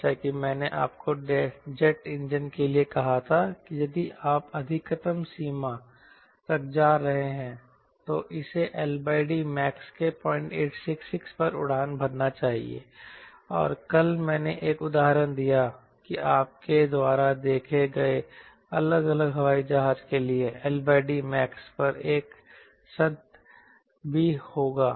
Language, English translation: Hindi, as i told you, you know, for jet engine, if i going to maximize range, it should fly at point eight, six, six of l by d max, and yesterday i gave one example, will also have one session on l by d max for different airplane